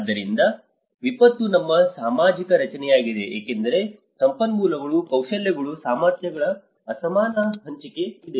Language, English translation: Kannada, So, disaster is a social construct because there has been an unequal distribution of resources, skills, abilities